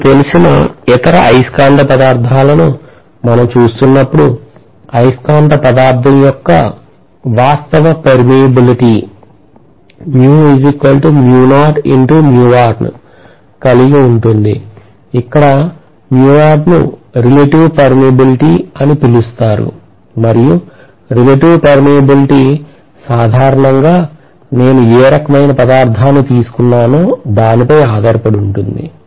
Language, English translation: Telugu, Whenever we are looking at any other you know magnetic material, we are going to have the actual permeability of a magnetic material to be mu naught into mu R, where mu R is known as the relative permeability and the relative permeability is going to be generally, you know, a few hundreds to few thousands depending upon what kind of material I am looking at